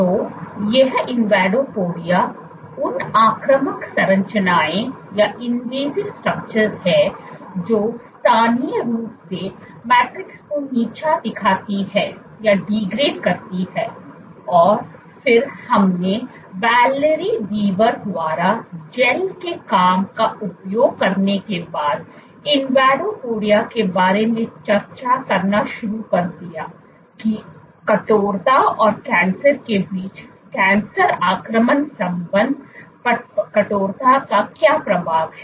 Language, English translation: Hindi, So, these invadopodia are those invasive structures which locally degrade the matrix and then we started discussing after invadopodia using gels work by Valerie Weaver about what is the effect of stiffness on cancer invasion relationship between stiffness and cancer